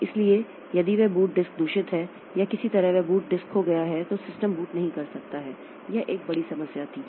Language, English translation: Hindi, So, if that boot disk is corrupted or somehow that boot disk is lost, then the system cannot boot